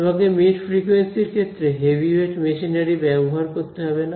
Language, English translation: Bengali, You do not have to need, you do not have to use all the heavyweight machinery that mid frequency needs ok